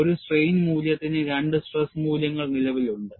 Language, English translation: Malayalam, Suppose, I take a strain value, two stress values are possible